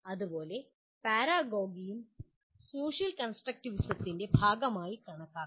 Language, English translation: Malayalam, Similarly, “paragogy” is also can be considered as a part of social constructivism